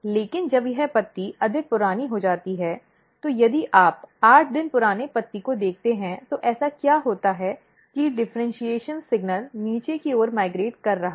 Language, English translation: Hindi, But when this leaf becomes older, so if you look in the 8 day old leaf what happens that the differentiation signal is migrating towards the down side